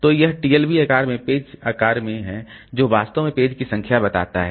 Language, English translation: Hindi, So, this TLB size into page size, so that actually tells how many pages